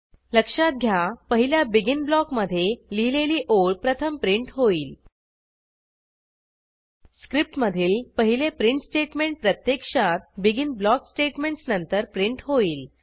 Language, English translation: Marathi, Notice that The line written inside the first BEGIN block gets printed first and The first print statement in the script actually gets printed after the BEGIN block statements